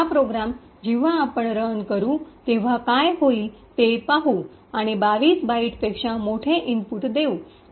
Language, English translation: Marathi, Now let us see what would happen when we run this program and give a large input which is much larger than 22 bytes